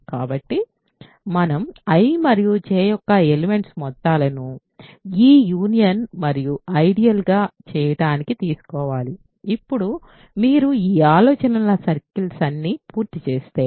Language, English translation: Telugu, So, we have to take the sums of elements of I and J to make this union and ideal so, now, if you just to complete this circle of ideas